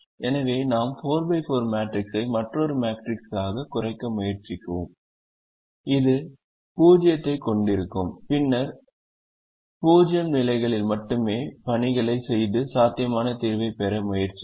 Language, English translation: Tamil, so we try to reduce the four by four matrix into another matrix which would have zeros, and then make the assignments only in the zero positions and try to get a feasible solution